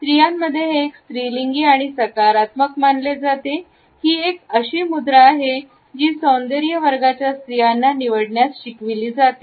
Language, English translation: Marathi, Amongst women it is considered to be a feminine and positive posture; this is a posture which women in the grooming classes are taught to opt for